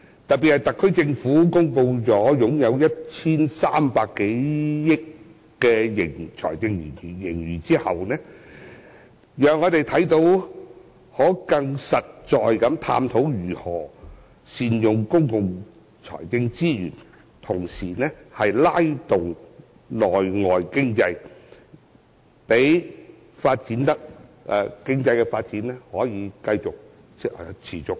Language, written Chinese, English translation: Cantonese, 特別是當特區政府已公布擁有 1,300 多億元的財政盈餘，我們可以更實在地探討如何善用公共財政資源，並同時拉動內外經濟，讓經濟發展得以持續。, Today we can finally discuss this motion in a formal manner especially when the SAR Government has announced a fiscal surplus of over 130 billion . We may explore in a more practical way how best to make good use of the public financial resources and at the same time stimulate domestic and external economies for sustainable economic development